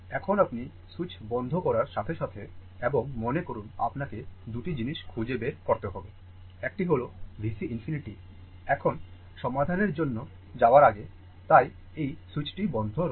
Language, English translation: Bengali, Now, as soon as you as soon as you close that switch right, as soon as you close the switch and suppose you have to find out 2 things; one is what is V C infinity, now now, before going for the solution, so, this switch is closed